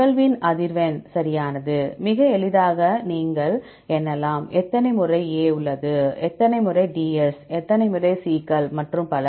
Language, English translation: Tamil, The frequency of occurrence right; so easily you can count, how many times A is present, how many Ds how many Cs and so on